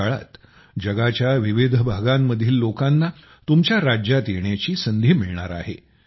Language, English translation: Marathi, During this period, people from different parts of the world will get a chance to visit your states